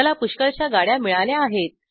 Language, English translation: Marathi, I have got lots of train